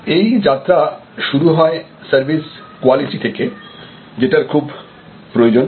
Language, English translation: Bengali, So, the journey starts from services quality that is essential